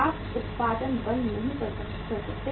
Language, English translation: Hindi, You cannot stop the production